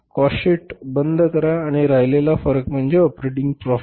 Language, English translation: Marathi, Close the cost sheet and the difference is the operating profit